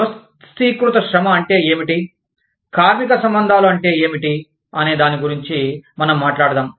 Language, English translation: Telugu, We talked about, what organized labor was, and what labor relations meant